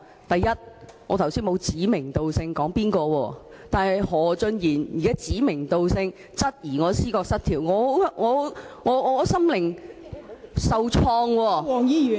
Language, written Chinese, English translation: Cantonese, 第一，我剛才沒有指名道姓，但何俊賢議員現在卻指名道姓質疑我思覺失調，令我心靈受創。, First I did not mention any name in particular but Mr HO named me and queried if I was suffering from psychotic disorder . I felt hurt psychologically